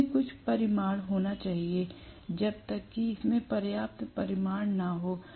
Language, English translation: Hindi, It has to have certain magnitude, unless it has sufficient magnitude